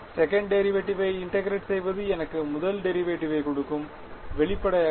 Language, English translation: Tamil, Integrating second derivative will give me first derivative ; obviously